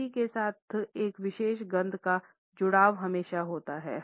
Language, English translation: Hindi, The association of a particular smell with memory is always there